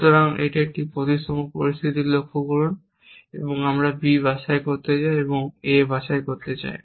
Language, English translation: Bengali, So, notice at this a symmetric situation we want to pick up B on we want to pick up A